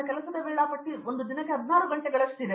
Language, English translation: Kannada, Today as a professor my working schedule is close to 16 hours a day